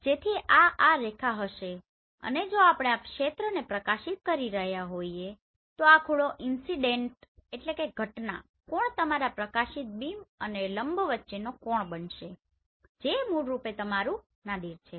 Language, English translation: Gujarati, Now let us draw the perpendicular on this surface so this will be this line and if we are illuminating this area this angle will become incident angle and the angle between your illuminated beam and the perpendicular this is basically your nadir